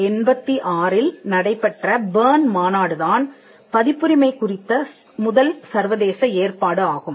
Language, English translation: Tamil, The first international arrangement on copyright was the Berne Convention in 1886